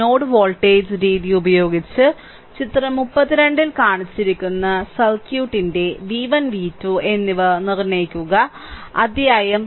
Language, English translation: Malayalam, So, using node voltage method determine v 1 and v 2 of the circuit shown in figure 32 the chapter 3